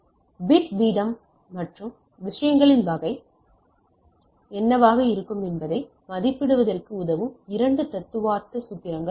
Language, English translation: Tamil, So, there are 2 theoretical formulas which help us in estimating that what should be my bit rate and type of things